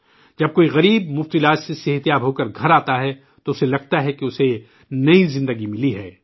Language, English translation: Urdu, When the poor come home healthy with free treatment, they feel that they have got a new life